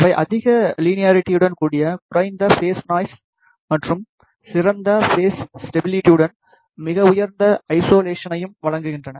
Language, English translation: Tamil, They provide high linearity with low phase noise and better phase stability with very high isolation